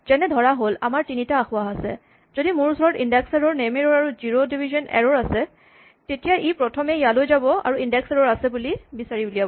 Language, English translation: Assamese, If I have three errors for example, if I have an index error and a name error and a zero division error then, what will happen is that, it will first go here and find that there is an index error